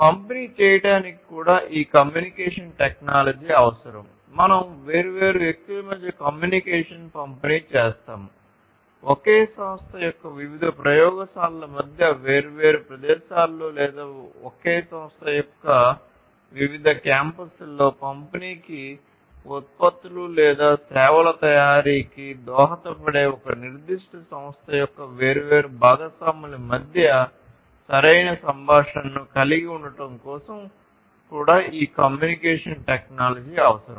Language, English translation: Telugu, And this communication technology is required even to distribute we have distributed communication between different people, distributed communication between different people, distributed communication between the different labs of the same organization, distributed communication across the different locations, or different campuses of the same organization or even it is also required for having proper communication between the different partners of a particular organization, who contribute to the manufacturing of the products or the services